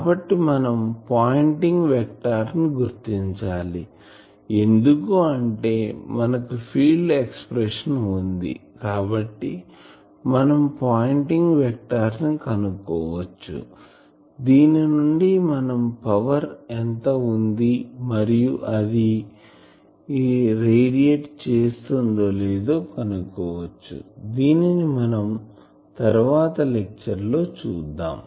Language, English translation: Telugu, So, for that we will have to consider the pointing vector of this because now, we have field expression so we can find pointing vector, from pointing we can easily find what is the power and will see that it whether it radiates or not